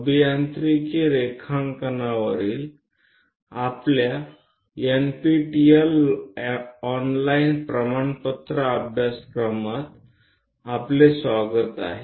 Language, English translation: Marathi, Welcome to our NPTEL online certification courses on Engineering Drawing